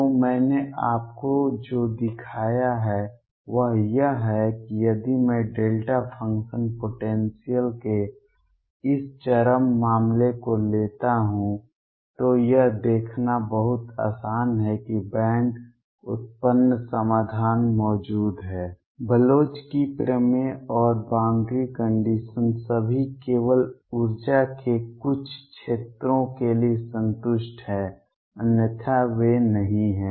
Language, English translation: Hindi, So, what I have shown you is that if I take this extreme case of delta function potential it is very easy to see that bands arise solution exist, the Bloch’s theorem and boundary conditions all are satisfied only for certain regions of energy, otherwise they are not